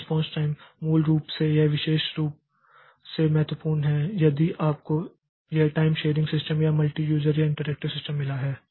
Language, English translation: Hindi, So, response time is basically it is particularly important if we have got this time sharing system or multi user or interactive system